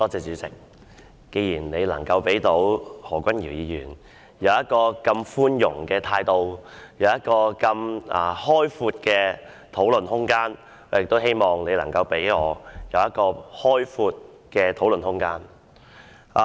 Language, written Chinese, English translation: Cantonese, 主席，既然你能如此寬待何君堯議員，並給予他如此開闊的討論空間，我希望你也能給予我開闊的討論空間。, Chairman given your leniency shown to Mr Junius HO who was allowed to speak on a wide range of issues I hope you will also allow me to speak on a wide range of issues